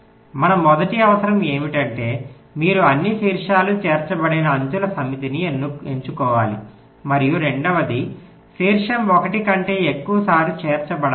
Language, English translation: Telugu, your first requirement is that you have to select a set of edges such that all vertices are included and, secondly, no vertex is included more than once